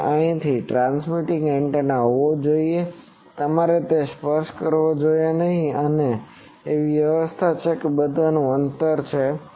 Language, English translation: Gujarati, There should be a transmitting antenna you should not touch that there is an arrangement that there is a distance all those things